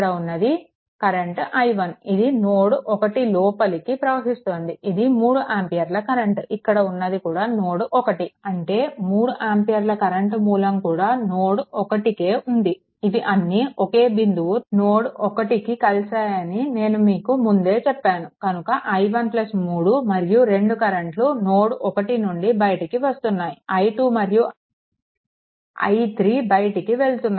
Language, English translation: Telugu, Then it will be i 1, this current is entering at node 1, this is 3 ampere current, I mean this is the same thing this is same thing this 3 ampere current, I told you that all are connected at same point, then i 1 plus 3, these 2 are your this current are entering into the node 1 and i 2 and i 3 leaving